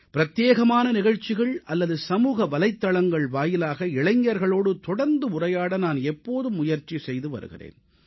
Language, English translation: Tamil, My effort is to have a continuous dialogue with the youth in various programmes or through social media